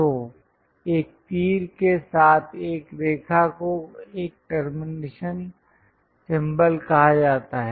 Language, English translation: Hindi, So, a line with an arrow is called termination symbol